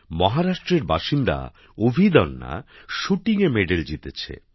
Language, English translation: Bengali, Abhidanya, a resident of Maharashtra, has won a medal in Shooting